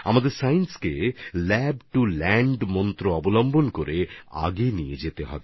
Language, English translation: Bengali, We have to move science forward with the mantra of 'Lab to Land'